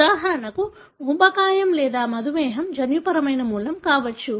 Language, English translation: Telugu, For example, obesity or diabetes could be of genetic origin